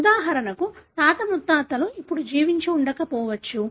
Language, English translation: Telugu, For example the great grand parent may not be living now